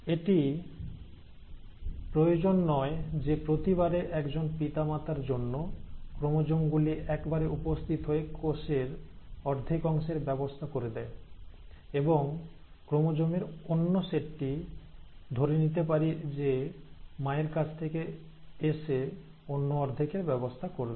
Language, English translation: Bengali, Now it is not necessary that every time the chromosomes for one parent will appear at one, will arrange at one half of the cell, and the other set of chromosome, let us say coming from mother will arrange at the other half